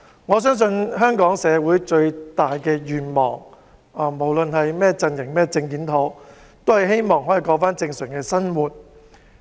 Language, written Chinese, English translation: Cantonese, 我相信香港社會最大的願望，不論是甚麼陣營或政見，都想重過正常生活。, I believe the biggest wish of Hong Kong society irrespective of camps or political views is to resume our normal life